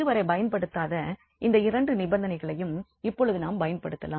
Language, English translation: Tamil, And now we can apply these two conditions which were not use so far